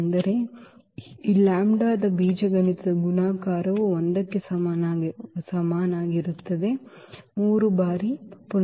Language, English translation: Kannada, That means, this algebraic multiplicity of this lambda is equal to 1 is 3 now